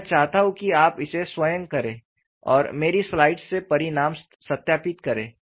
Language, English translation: Hindi, It is not difficult, I want you to do it on your own, and then verify the result from my slide